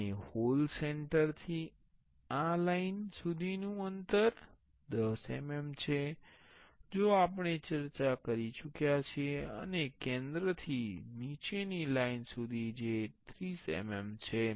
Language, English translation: Gujarati, And from the hole center to this line was as we discussed that is 10 mm, and from the center to the bottom line that is 30 mm